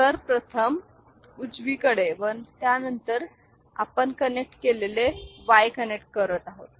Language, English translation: Marathi, So, for the first one, right and after that you are connecting the Y you are connected it